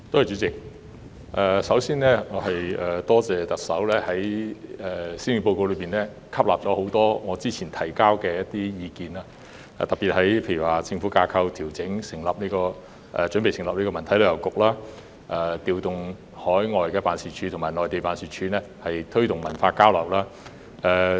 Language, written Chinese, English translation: Cantonese, 主席，首先我多謝特首在施政報告吸納了我早前提交的多項意見，特別是在調整政府架構、準備成立文化體育及旅遊局、調動海外及內地辦事處推動文化交流方面。, President first of all I would like to thank the Chief Executive for taking my earlier views on board in the Policy Address especially in areas such as reorganizing the government structure setting up a Culture Sports and Tourism Bureau and promoting cultural exchange through overseas and Mainland offices